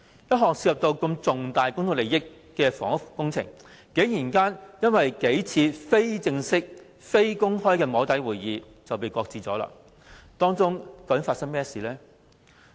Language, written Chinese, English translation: Cantonese, 一項涉及重大公眾利益的房屋工程，竟然因為數次非正式、非公開的"摸底"會議而被擱置，當中究竟發生甚麼事？, Surprisingly a housing project involving significant public interest had been shelved after a couple of informal closed - door soft lobbying sessions . What had actually happened?